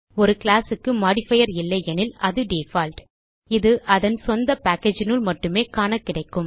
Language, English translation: Tamil, If a class has no modifier which is the default , it is visible only within its own package